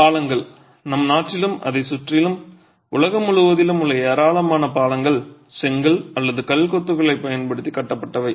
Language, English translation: Tamil, Bridges, extensive number of bridges in and around our country all over the world are built in, are built using brick or stone masonry